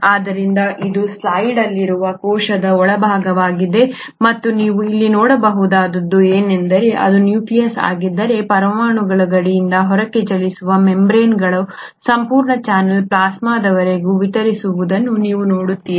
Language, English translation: Kannada, So this is the interior of a cell in this slide and what you can see here is that starting from, so if this were the nucleus, from the nuclear boundary moving outwards you see a whole channel of membranes extending all the way up to the plasma membrane, so plasma membrane would be somewhere here